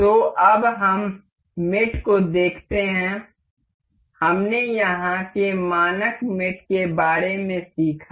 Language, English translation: Hindi, So, now let us see the mates; we we we learned about the standard mates over here